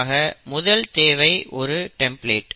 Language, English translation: Tamil, So it needs what we call as a template